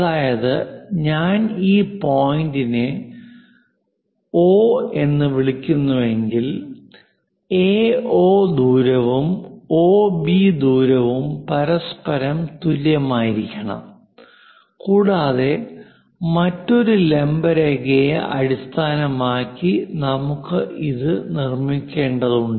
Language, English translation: Malayalam, For this line, we would like to bisect into equal parts; that means if I am calling this point as O; AO distance and OB distance are equal to each other and that we construct it based on another perpendicular line